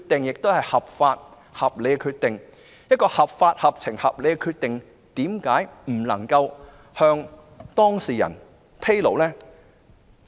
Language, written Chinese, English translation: Cantonese, 如其決定合法、合情、合理，為何不能向當事人披露？, If the decision is lawful sensible and reasonable the Government should inform the parties concerned of the reason shouldnt it?